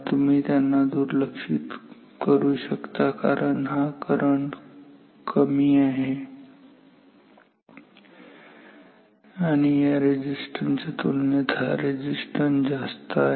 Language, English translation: Marathi, You can ignore because this current is small and also compared to this resistance this resistance is much higher